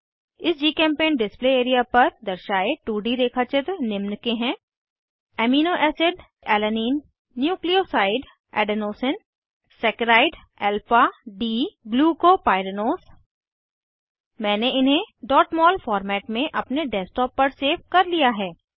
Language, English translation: Hindi, Shown on this Gchempaint display area are 2D drawings of * Amino acid Alanine * Nuclioside Adenosine * Saccharide Alpha D glucopyranose I have saved them in .mol format on my Desktop